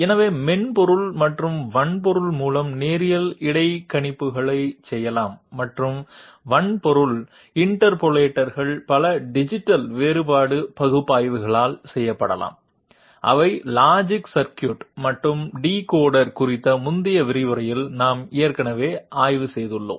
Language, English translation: Tamil, So linear interpolators can be made by software or hardware and hardware interpolators may be made by a number of digital differential analyzer which we have already studied in the previous lecture on logic circuit and decoder